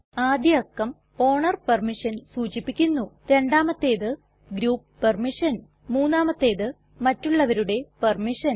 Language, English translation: Malayalam, The first digit stands for owner permission, the second stands for group permission, and the third stands for others permission